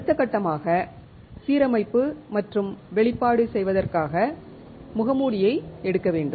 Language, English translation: Tamil, The next step is to take a mask to do the alignment and the exposure